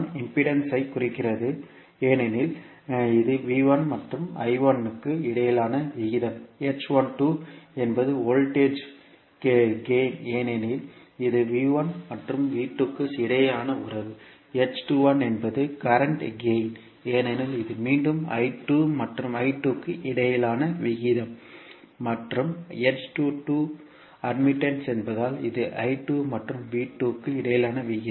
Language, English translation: Tamil, h11 represents the impedance because it is the ratio between V1 and I1, h12 is the voltage gain because this is a relationship between V1 and V2, h21 is the current gain because it is again the ratio between I2 and I1 and h22 is the admittance because it is ratio between I2 and V2